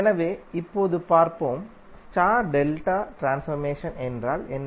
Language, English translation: Tamil, So now let us see, what do you mean by star delta transformer, transformation